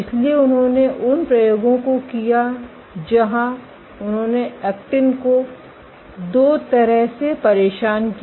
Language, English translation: Hindi, So, they did experiments where they perturbed actin in two ways